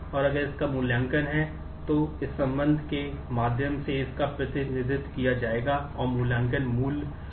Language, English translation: Hindi, And if it has an evaluation then the; this through this relationship it will be represented and the evaluation value will exist